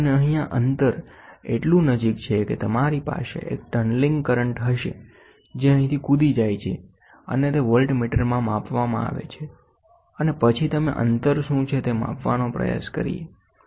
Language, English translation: Gujarati, And here, this distance is so close you will have a tunneling current which jumps from here to here, and that is measured that is measured in the voltmeter, and then we try to measure what is the distance